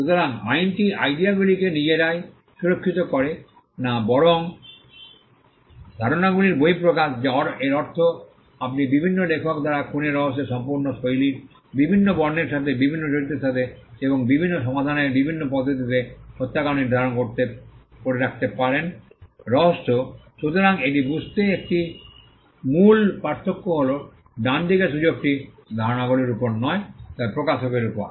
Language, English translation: Bengali, So, the law does not protect the ideas themselves rather the expression of the ideas which means you can have an entire genres of murder mysteries written by different authors setting the murder in different locations with the different characters with different plots and with different ways of solving the mystery